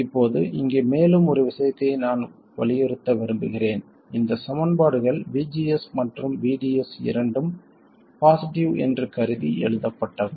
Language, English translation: Tamil, Now one more thing I want to emphasize here is that these equations are written assuming that both VGS and VDS are positive